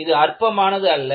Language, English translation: Tamil, It is not trivial